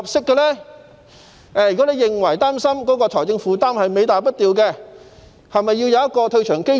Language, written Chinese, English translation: Cantonese, 如果他擔心財政負擔是尾大不掉，是否要設立一個退場機制？, If he is worried that the financial burden will be like a tail which is too big to wag should an exit mechanism be set up?